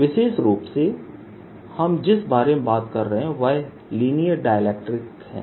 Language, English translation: Hindi, what we are talking about are linear dielectrics